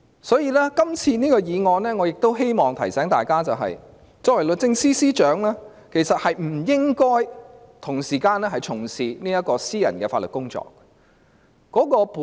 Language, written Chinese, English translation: Cantonese, 我亦希望藉這項議案提醒大家，律政司司長其實不應同時從事私人的法律工作。, I also hope this motion will remind all of you that it is indeed inappropriate for the Secretary for Justice to engage in private legal practice simultaneously